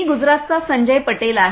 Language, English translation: Marathi, I am Sanjay Patel from Gujrat